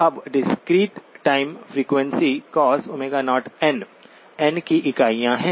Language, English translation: Hindi, Now the discrete time frequency is cosine omega 0 n, units of n